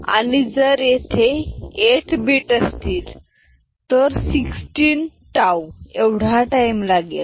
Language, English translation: Marathi, So, if it is 8 bit it will require 16 tau